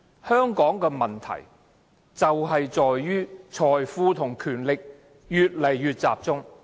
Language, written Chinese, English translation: Cantonese, 香港的問題正在於財富和權力越來越集中。, The problem with Hong Kong now is the increasing concentration of wealth and power in a handful of people